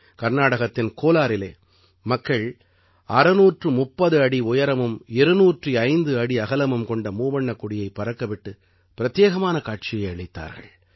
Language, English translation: Tamil, In Kolar, Karnataka, people presented a unique sight by holding the tricolor that was 630 feet long and 205 feet wide